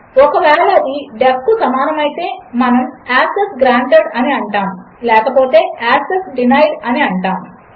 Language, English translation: Telugu, If this equals def, were going to say Access granted else Access denied